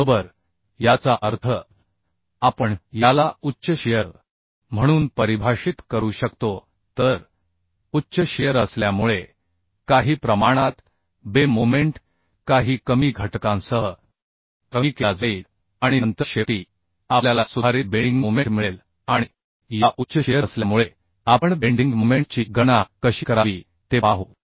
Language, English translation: Marathi, So because of high shear, certain amount of bending moment will be reduced with some reduction factor and then finally, we will get the modified bending moment and because of this presence of high shear we will see how to calculate the bending moment